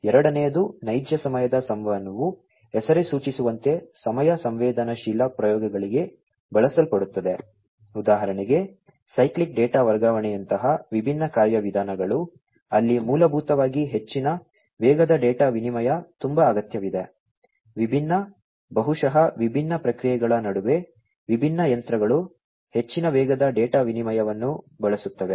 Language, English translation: Kannada, Second is real time communication as the name suggests used for time sensitive processes, such as cyclic data transfer even different procedures, where basically high speed data exchange is very much required, between different, maybe different processes, different machinery use high speed data exchange requirements are there in those machinery